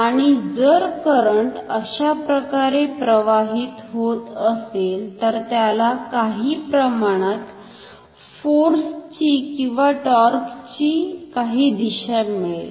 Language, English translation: Marathi, And, then the current is flowing in some direction, it will generate a torque it will generate some force and torque